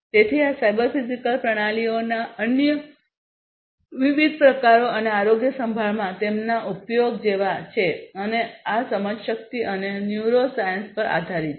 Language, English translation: Gujarati, So, these are like different other types of examples of cyber physical systems and their use in healthcare and these are based on cognition and neuroscience